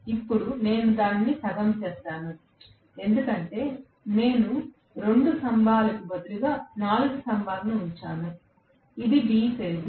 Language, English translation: Telugu, Now, I have just made it half, because I have put 4 poles instead of 2 pole, this is 3 phase